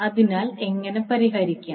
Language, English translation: Malayalam, So, how we solve